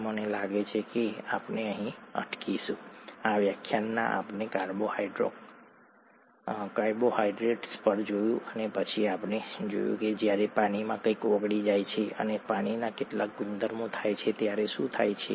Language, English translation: Gujarati, And I think we will stop here, this lecture we looked at carbohydrates and then we looked at what happens when something dissolves in water and some properties of water